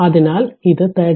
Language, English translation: Malayalam, So, it is 33